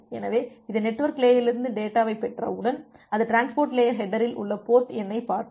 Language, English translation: Tamil, So, once it has receive the data from the network layer, it will look into the port number in the transport layer header